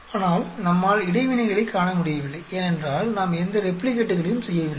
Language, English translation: Tamil, But we are not able to see interactions because we did not do any replicates